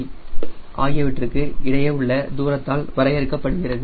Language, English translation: Tamil, t, the tail moment term, is defined by the distance between c